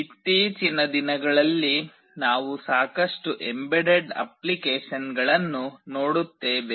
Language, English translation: Kannada, Nowadays we see lot of embedded applications